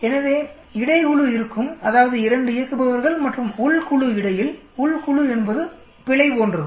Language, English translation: Tamil, So there will be between group, that means between the 2 operators and within group, within group is more like error